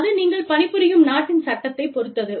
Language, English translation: Tamil, And, that depends on, the law of the land, that you are operating in